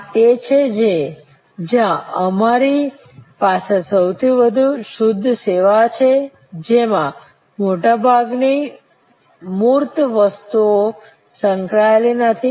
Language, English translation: Gujarati, This is where we have most pure services, not having much of tangible goods associated